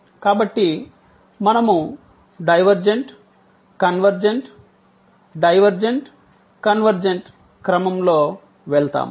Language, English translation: Telugu, So, we will go divergent convergent, divergent convergent in sequence